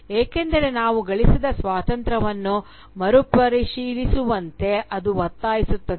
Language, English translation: Kannada, Because, it forces us to reconsider the kind of freedom that we have earned